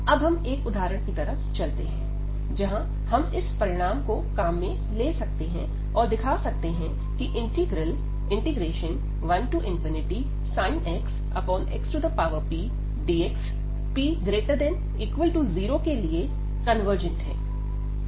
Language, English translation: Hindi, So, here let us go through this example, where we can use this result easily to prove such integrals 1 to infinity sine x over x power p is convergent for p greater than equal to 0